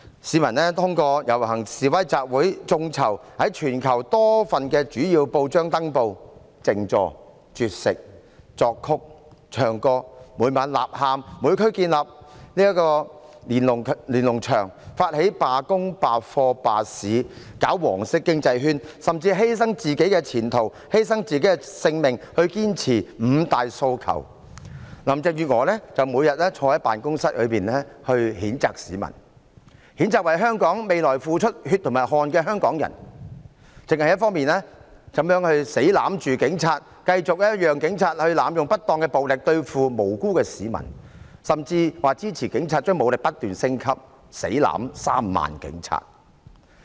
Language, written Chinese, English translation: Cantonese, 市民遊行、示威和集會、發起眾籌在全球多份主要報章登報、靜坐、絕食、作曲、唱歌、每晚吶喊、在每區建立連儂牆、發起罷工、罷課和罷市，並推動黃色經濟圈，甚至犧牲自己的前途、犧牲自己的性命，堅持五大訴求，林鄭月娥則每天坐在辦公室裏譴責市民，譴責為香港未來付出血和汗的香港人，死也要攬着警察，繼續讓警察濫用不當暴力對付無辜市民，甚至表示支持警察將武力不斷升級，"死攬 "3 萬名警察。, People staged rallies protests and assemblies launched crowdfunding to put up advertisements in various major newspapers around the world held sit - in demonstrations went on a hunger strike composed and sang songs shouted slogans every night created Lennon Walls in every district initiated labour strikes boycott of classes and strikes by businesses and promoted a yellow economic circle . They even sacrificed their own future and lives to insist on the five demands while Carrie LAM sitting in her office every day kept condemning the people denouncing Hongkongers who contributed their blood and sweat to the future of Hong Kong . Hanging onto the Police no matter what she continued to let them use improper force against innocent people